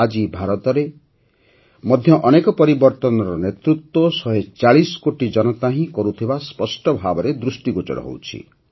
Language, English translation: Odia, Today, it is clearly visible in India that many transformations are being led by the 140 crore people of the country